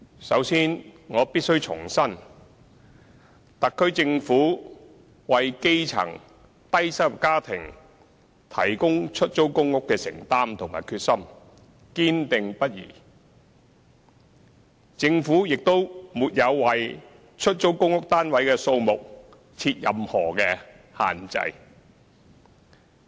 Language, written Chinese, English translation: Cantonese, 首先，我必須重申，特區政府為基層低收入家庭提供出租公屋的承擔及決心堅定不移，政府亦沒有為出租公屋單位的數目設任何限制。, First of all I must reiterate that the Special Administrative Region Government remains strongly committed and determined in providing public rental housing PRH for grass - roots and low - income families and has not set any restriction on the number of PRH units